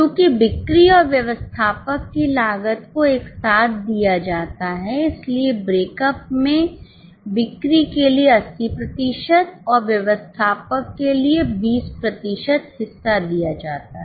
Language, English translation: Hindi, Since the cost of selling and admin is given together, breakup is given for selling 80% and admin 20%